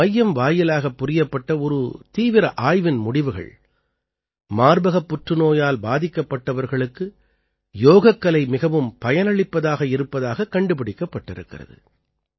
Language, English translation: Tamil, An intensive research done by this center has revealed that yoga is very effective for breast cancer patients